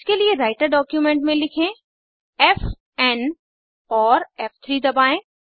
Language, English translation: Hindi, For this simply write f n on the Writer document and press F3